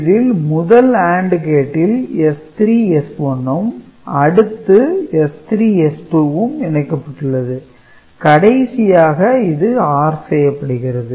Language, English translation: Tamil, So, this AND gate S 3 S 1, this is S 3 S 2 and finally, it is ORed